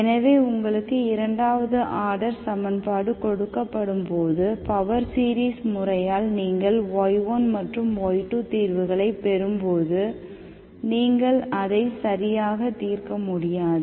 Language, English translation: Tamil, So when, when you are given a second order equation, by the power series method when you derive, when you derive the solution, y1 and y2, when you determine the solutions y1 and y2, you do not exactly solve